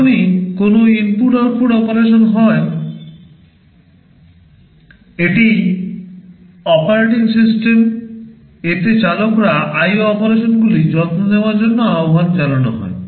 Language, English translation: Bengali, Whenever there is an input output operation it is the operating system, the drivers therein who will be invoked to take care of the IO operations